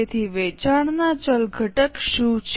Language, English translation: Gujarati, So, what is a variable component of sales